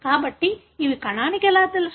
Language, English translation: Telugu, So, how the cell knows